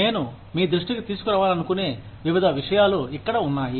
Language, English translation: Telugu, Various things, that I want to bring to your notice, here